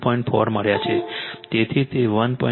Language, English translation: Gujarati, 4, so it will be 1